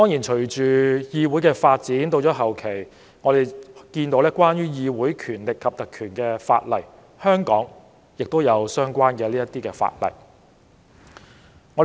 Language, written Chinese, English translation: Cantonese, 隨着議會發展，後期出現有關議會權力及特權的法例，香港亦有相關法例。, With the development of the parliament laws on parliamentary powers and privileges were subsequently enacted and there are related laws in Hong Kong